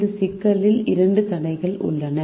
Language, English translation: Tamil, there are two constraints in this problem